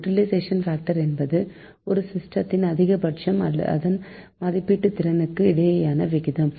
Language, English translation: Tamil, utilization factor, so it is the ratio of the maximum of a system to the rated capacity of the system, right